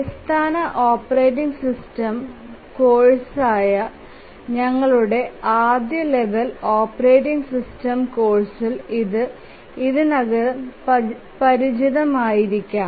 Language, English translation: Malayalam, So, this you might have already become familiar in your first level operating system course, the basic operating system course